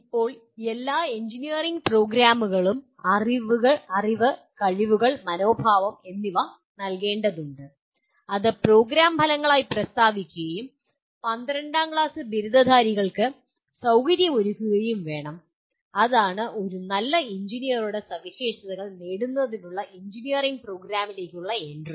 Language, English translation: Malayalam, Now all engineering programs are required to impart knowledge, skills and attitudes which will be stated as program outcomes and to facilitate the graduates of 12th standard, that is the entry point to engineering program to acquire the characteristics of a good engineer